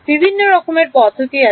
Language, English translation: Bengali, Various methods are there